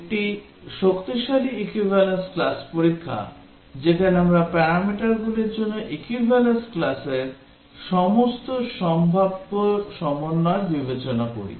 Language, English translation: Bengali, This is strong equivalence class testing, in which we consider all possible combinations of the equivalence classes for the parameters